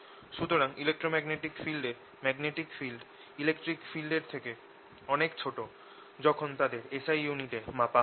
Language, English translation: Bengali, so magnetic field in electromagnetic wave is much smaller than the electric field when they are measured in s i units